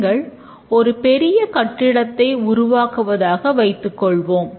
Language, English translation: Tamil, Let's say we want to develop a large building